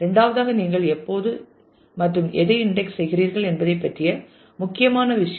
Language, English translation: Tamil, And the second is the important thing as to when should you index and on what